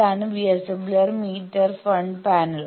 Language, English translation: Malayalam, This is the VSWR meter display